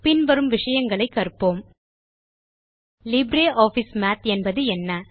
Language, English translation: Tamil, We will learn the following topics: What is LibreOffice Math